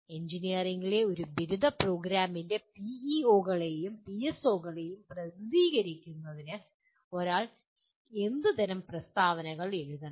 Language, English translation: Malayalam, What kind of statements that one need to write to represent the PEOs and PSOs of an undergraduate program in engineering